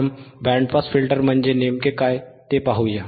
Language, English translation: Marathi, Let us first see what exactly the band pass filter is, right